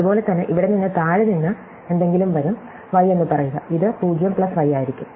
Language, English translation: Malayalam, And similarly, over here there will be something coming from below, say y, and this will be 0+y, right